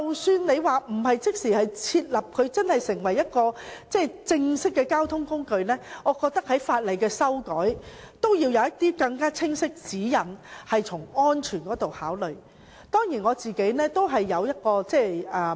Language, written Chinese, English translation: Cantonese, 所以，即使單車不會立即成為正式的交通工具，我覺得亦需要修訂法例，從安全方面考慮，提供更清晰的指引。, For this reason even though bicycles will not immediately become a formal mode of transport I think there is still a need to amend the legislation and provide clearer guidelines out of safety considerations